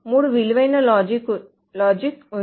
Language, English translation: Telugu, There is a 3 valued logic